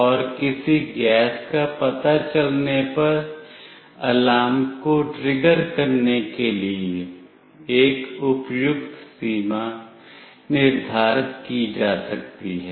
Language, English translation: Hindi, And a suitable threshold can be set to trigger the alarm on detecting some gas